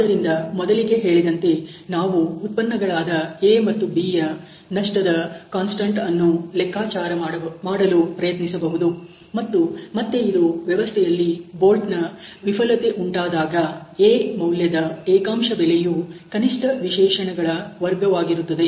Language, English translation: Kannada, So, having said that we can actually tried calculate the loss constant for the product A and B, and this would be again the value for A the unit cost for the, you know system in the bolt failure happens times of square of the minimum specification ok